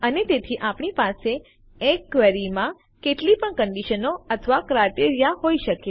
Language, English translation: Gujarati, And so we can have any number of conditions or criteria in a query